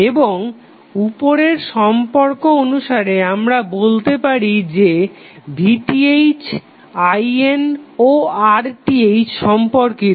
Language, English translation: Bengali, Now, according to the above relationship what we can see that V Th, I N and R Th are related